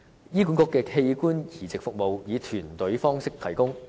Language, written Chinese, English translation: Cantonese, 醫管局的器官移植服務以團隊方式提供。, Organ transplant services in HA is provided through a team approach